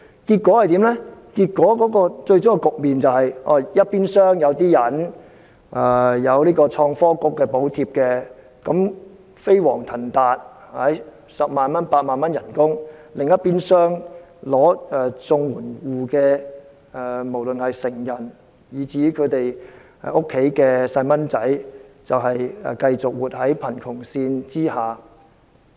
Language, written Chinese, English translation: Cantonese, 最終的結果是，一邊廂有些人享有創新及科技局的補貼，飛黃騰達，月薪十萬八萬元；另一邊廂，領取綜援者，無論是成人以至其子女，繼續活在貧窮線下。, What will happen in the end is that on the one hand enjoying the allowance from the Innovation and Technology Bureau some people make rapid advances in their career and receive a monthly salary of 80,000 or 100,000 . On the other hand CSSA recipients adults or their children continue to live below the poverty line